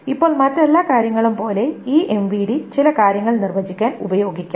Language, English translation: Malayalam, And now, similar to all the other things is this MVD can be used to define certain things